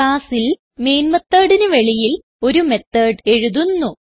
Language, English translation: Malayalam, In the class outside the main method we will write a method